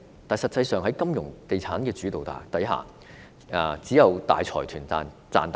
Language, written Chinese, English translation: Cantonese, 但實際上，在金融地產主導之下，只有大財團能賺大錢。, But in fact under the dominance of the financial and real estate sectors only the major consortiums can make handsome profits